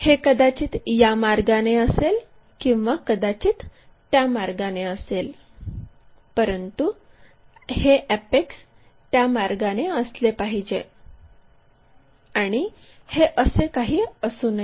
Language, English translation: Marathi, It might be in that way, it might be in that way, but this apex has to be in that way, but it should not be something like that